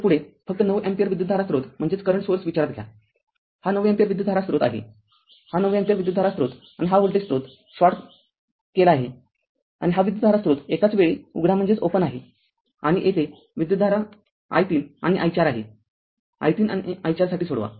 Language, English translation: Marathi, So, next one is next one is that you consider only 9 ampere current source, this is your 9 ampere current source right; this 9 ampere current source and this voltage source is shorted and this current source is open only one at a time and current is here i 3 and i 4 you solve for you have to solve for i 3 and i 4